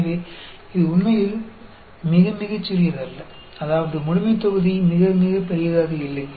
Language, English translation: Tamil, So, it is not really very very small; that means, the population is not very, very large